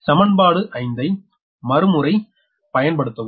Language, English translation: Tamil, so now apply equation five